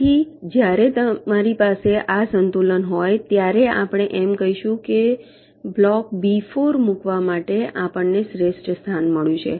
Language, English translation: Gujarati, so when you have this equilibrium, we say that we have found out the best position to place block b four